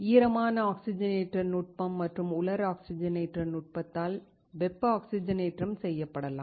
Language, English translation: Tamil, Thermal oxidation can be done by wet oxidation technique and dry oxidation technique